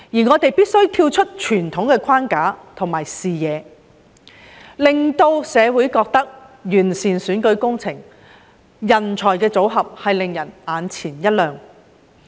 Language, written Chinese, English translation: Cantonese, 我們必須跳出傳統框架和視野，令社會對完善的選舉制度和人才組合眼前一亮。, We have to break the traditional rigidity and broaden our horizons so as to impress the community with an improved electoral system and talent mix